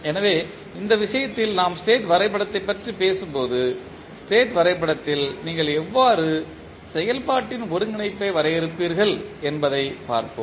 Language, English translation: Tamil, So, in this case when we talk about the state diagram let us first see how the integration of operation you will define in the state diagram